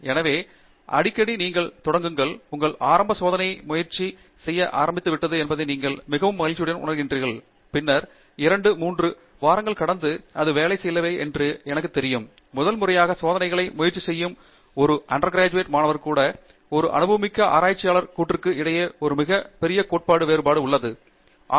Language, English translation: Tamil, So, often you start off, and you feel very happy you know that your initial experiment started working, and then I know two, three weeks down the road something does not work; and I would say that is the biggest difference between what I say an undergraduate student trying experiments for the first time goes through and say a more seasoned researcher goes through